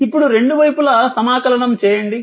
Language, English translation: Telugu, Now, you integrate both side